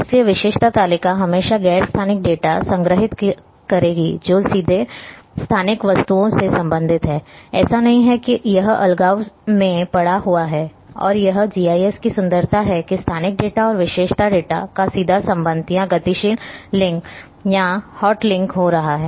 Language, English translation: Hindi, So, attribute table will always store non spatial data which is directly related with the spatial objects; it is not that it is lying in isolation and that is the beauty of GIS that spatial data and attribute data are having a direct linkage or dynamic link or hot link